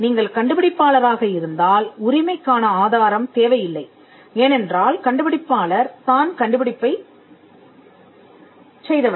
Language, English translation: Tamil, If you are inventor, there is no need for a proof of right, because, the inventor itself came up with the invention